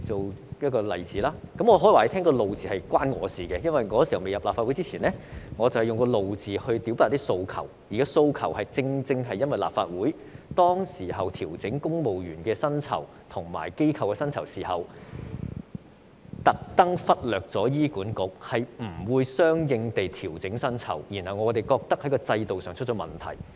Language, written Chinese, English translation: Cantonese, 我想告訴大家，這個"怒"字是與我有關，因為我未加入立法會前，我以"怒"字來表達訴求，因為當時立法會調整公務員和公營機構薪酬時，故意忽略醫院管理局，沒有相應地調整我們的薪酬，我們認為是制度上出現問題。, I want to tell everyone that I had something to do with this anger because I used this word to express my demands before joining the Legislative Council . At that time when the Legislative Council considered pay adjustments for civil servants and public organizations it left out the Hospital Authority HA on purpose and did not adjust our pay accordingly